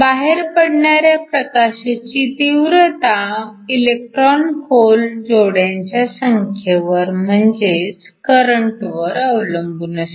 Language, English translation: Marathi, The intensity of the output light depends upon the number of electron whole pairs or the current